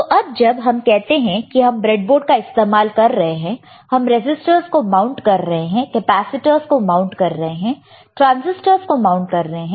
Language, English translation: Hindi, Now, when we say that we are using the breadboard we are we are mounting the resisters, we are mounting the capacitors and we are mounting transistors